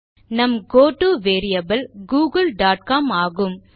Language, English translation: Tamil, And our goto variable is google dot com